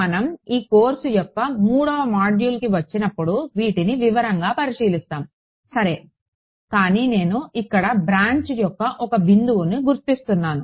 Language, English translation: Telugu, We will look at these in detail when we come to the third module of the this course ok, but I am just identifying a branch of point which happens right over